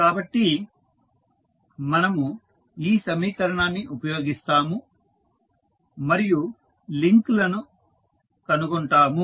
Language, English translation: Telugu, So, we use this equation and find out the links